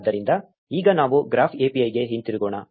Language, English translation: Kannada, So, now let us get back to the graph API